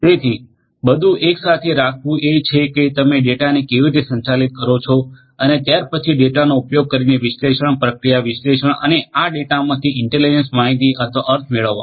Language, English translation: Gujarati, So, putting everything together is how you are going to manage the data and thereafter use the data for analysis, processing, analysis and deriving intelligence or meaning out of this data